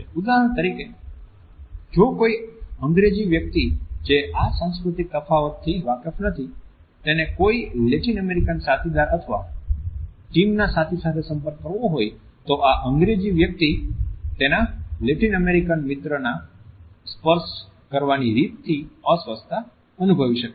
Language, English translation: Gujarati, For example if an Englishman who is not aware of these cultural differences has to interact with a Latin American colleague or a team mate then the Englishman may feel very uncomfortable by the level of touch the Latin American friend can initiate at his end